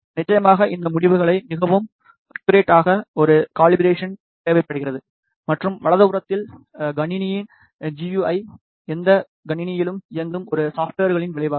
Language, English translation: Tamil, Of course, a calibration is required to make these results more accurate and on the right side you see that the GUI of the system, which is a result of a software running on any computer